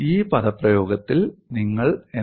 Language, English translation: Malayalam, And what do you find in this expression